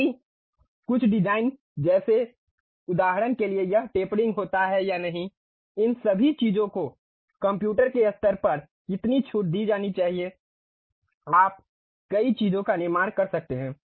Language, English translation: Hindi, Because some of the designs like for example, whether this tapering happens or not, how much tolerance has to be given all these things at computer level you can construct many things